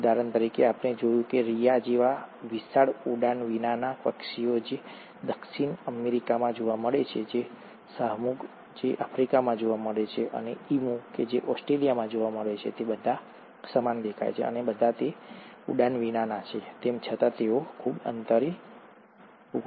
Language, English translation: Gujarati, For example, he observed that giant flightless birds like Rhea which is found in South America, Ostrich which is found in Africa to Emu which is found in Australia, they all look similar, and they all are flightless, yet they are so much spaced apart in terms of the geography